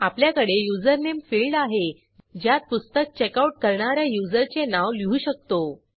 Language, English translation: Marathi, We also have a username field to get the username of the user who has to checkout the book